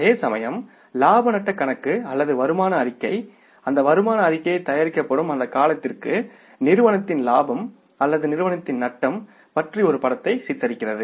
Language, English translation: Tamil, Whereas profit and loss account or the income statement depicts the picture of state of profit or loss of the firm for that period of time for which that income statement is being prepared